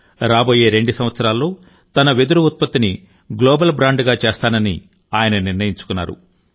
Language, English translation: Telugu, He has decided that in the next two years, he will transform his bamboo products into a global brand